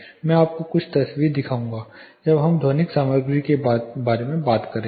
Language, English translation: Hindi, I will show you few pictures when we talk about acoustic material